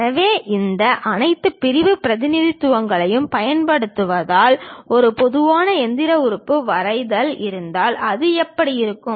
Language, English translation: Tamil, So, using all these sectional representation; if there is a drawing of typical machine element, how it looks like